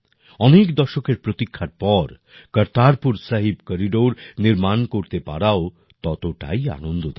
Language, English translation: Bengali, It is equally pleasant to see the development of the Kartarpur Sahib Corridor after decades of waiting